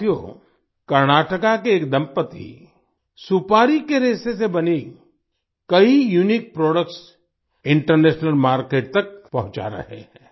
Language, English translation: Hindi, Friends, a couple from Karnataka is sending many unique products made from betelnut fiber to the international market